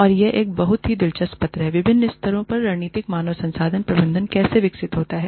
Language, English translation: Hindi, And, it is a very interesting paper, on how, strategic human resource management develops, over different levels